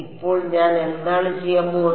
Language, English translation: Malayalam, Now, what I am going to do